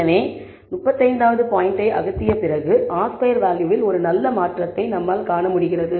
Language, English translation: Tamil, So, after removing the 35th point, I am able to see a pretty good change in the R squared value